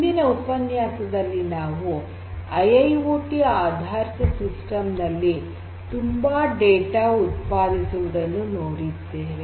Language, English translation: Kannada, In the previous lectures we have seen that IIoT based systems generate lot of data